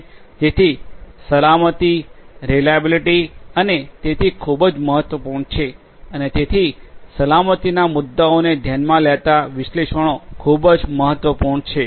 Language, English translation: Gujarati, So, safety reliability and so on are very very important and so, analytics considering safety issues are very important